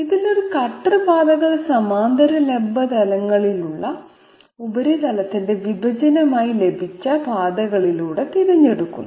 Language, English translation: Malayalam, In this one cutter paths are chosen along paths obtained as intersection of the surface with parallel vertical planes